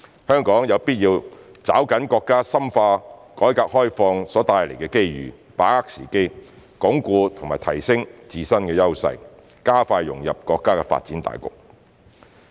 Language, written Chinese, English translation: Cantonese, 香港有必要抓緊國家深化改革開放所帶來的機遇，把握時機，鞏固及提升自身優勢，加快融入國家發展大局。, It is necessary for Hong Kong to firmly grasp the opportunities presented by the countrys further reform and opening - up and seize the chance to reinforce and enhance our own edges so as to expeditiously integrate into the overall development of the country